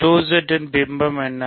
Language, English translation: Tamil, What is the image of 2Z